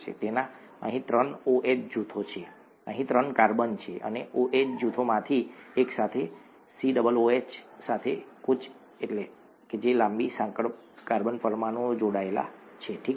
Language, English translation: Gujarati, It has three OH groups here, three carbons here, and to one of these OH groups, a long chain carbon molecule with a COOH gets attached, okay